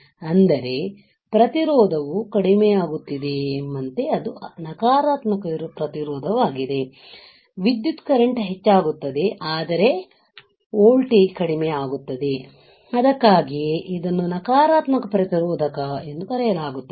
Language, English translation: Kannada, That means, as if the resistance is decreasing it is a negative resistance, the current increases, but the voltage decreases which is why it is called a negative resistance got it